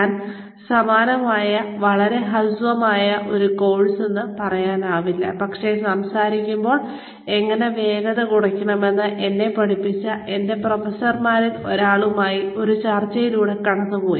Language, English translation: Malayalam, I went through a similar, very short not really a course, but, a discussion with one of my professors, who taught me, how to slow down, while talking